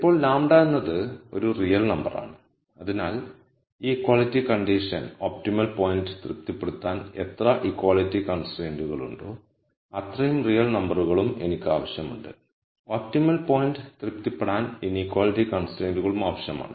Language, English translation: Malayalam, Now the lambda is some real number, so as many real numbers as there are equality constraints and much like how I still need to have this equality condition satis ed the optimum point, I need to have the inequality constraint also to be satisfied by the optimum point